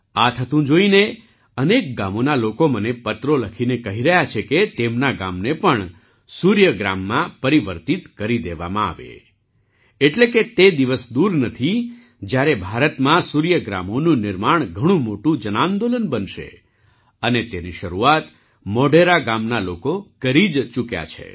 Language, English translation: Gujarati, Seeing this happen, now people of many villages of the country are writing letters to me stating that their village should also be converted into Surya Gram, that is, the day is not far when the construction of Suryagrams in India will become a big mass movement and the people of Modhera village have already begun that